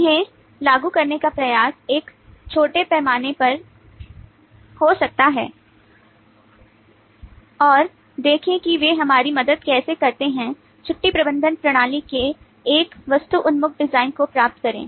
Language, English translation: Hindi, try to apply them, may be in a small scale, and see how they help us get to a object oriented design of the leave management system